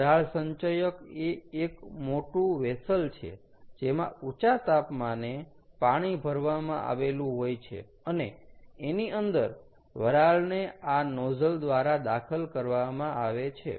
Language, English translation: Gujarati, the steam accumulator is a big vessel that consists of water, typically at a high temperature, and in that the steam is injected, ok, through these nozzles